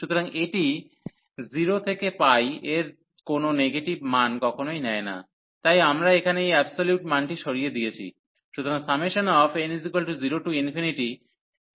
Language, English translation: Bengali, So, this never takes negative values in 0 to pi, therefore we have remove this absolute value here